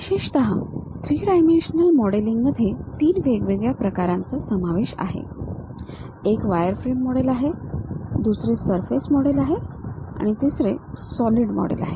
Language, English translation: Marathi, Especially, the three dimensional modelling consists of three different varieties: one is wireframe model, other one is surface model, the third one is solid model